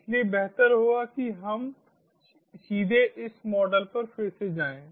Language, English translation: Hindi, so it would be better if we directly go into this model again